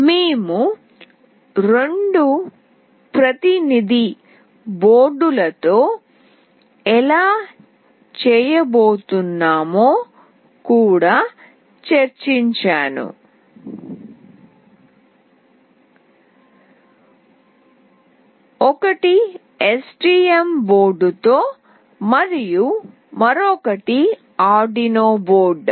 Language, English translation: Telugu, I have also discussed how we will be doing with two representative boards, one is with STM board and another is Arduino board